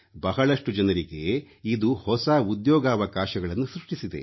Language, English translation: Kannada, New employment opportunities were created for a number of people